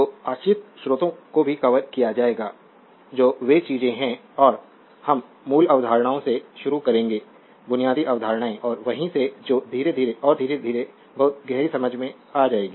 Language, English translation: Hindi, So, dependent sources also will be covered so, those are the things and we will start from the basic concepts right basic concepts and from there will your what you call slowly and slowly will move into you know much deeper understanding